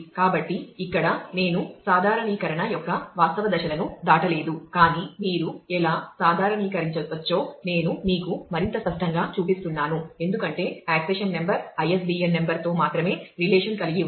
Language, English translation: Telugu, So, here I have not gone through the actual steps of normalization, but I am showing you more intuitively as to, how you can normalize; because it is a quite obvious that the accession number is involved only with the ISBN number and which keeps track of the copies